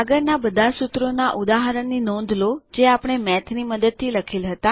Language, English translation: Gujarati, Notice all the previous example formulae which we wrote using Math